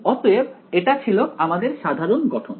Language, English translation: Bengali, So, that was the general setup